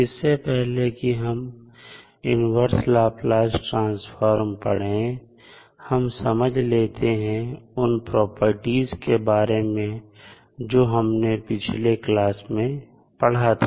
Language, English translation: Hindi, Before going into the inverse Laplace transform, let us understand what we discussed in the last class related to the properties of the Laplace transform